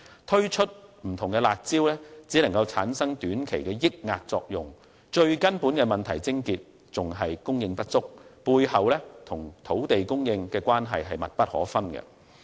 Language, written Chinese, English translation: Cantonese, 推出不同的"辣招"只能產生短期的遏抑作用，問題的癥結依然是供應不足，背後與土地供應的關係密不可分。, The implementation of various curb measures has only produced short - term dampening effect the crux of the problem is still the lack of supply which is closely linked with land supply